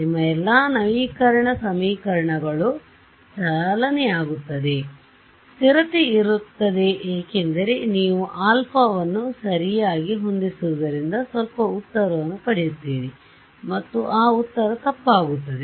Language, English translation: Kannada, All your update equations will run, stability will be there because you have fixed alpha correctly you will get some answer and that answer will be wrong